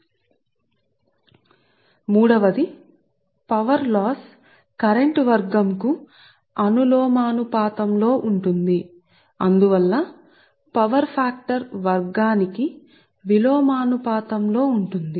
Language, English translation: Telugu, number three is power loss is proportional to the square of the current and hence inversely proportional to the square of the power factor